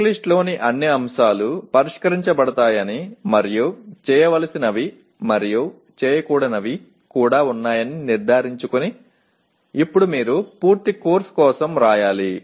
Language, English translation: Telugu, Now you have to write for a complete course making sure that all the items in the checklist are addressed to and do’s and don’ts are also observed